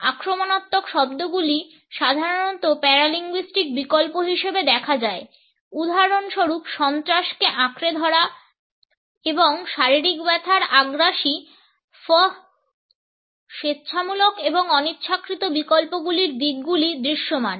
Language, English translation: Bengali, Ingressive sounds occur more commonly as paralinguistic alternates, for example a grasp of terror an ingressive “fff” of physical pain voluntary as well as involuntary aspects of alternates are visible